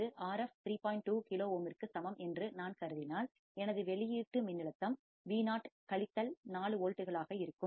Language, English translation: Tamil, 2 kilo ohm, then my output voltage Vo would be minus 4 volts